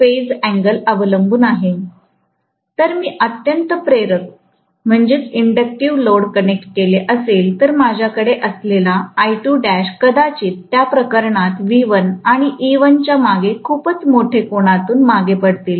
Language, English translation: Marathi, If I have connected highly inductive load, I am going to have I2 dash probably lagging behind V1 or E1 for that matter, by a very very large angle